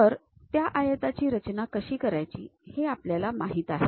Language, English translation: Marathi, So, we know how to construct that rectangle construct that